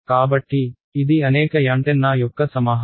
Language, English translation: Telugu, So, this is a collection of many many antennas